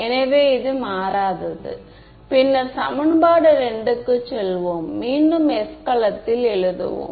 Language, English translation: Tamil, So, this is my unchanged then we go to equation 2 again writing in the s cell